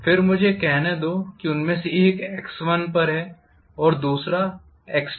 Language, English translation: Hindi, So this corresponds to x equal to x1 whereas this corresponds to x equal to x2